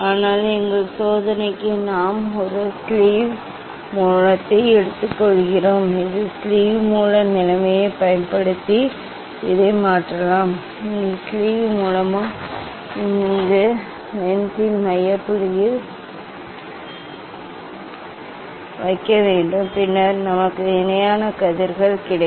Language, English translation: Tamil, But for our experiment we take a sleeve source that sleeve source position we can change using this one and here the sleeve source, we have to put at the focal point of this lens ok, then we will get the parallel rays